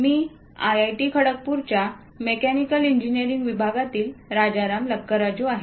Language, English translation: Marathi, I am Rajaram Lakkaraju from Department of Mechanical Engineering, IIT Kharagpur